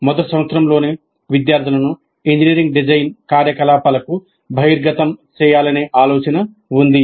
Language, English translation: Telugu, So the thinking has been that we should expose the students to the engineering design activity right in first year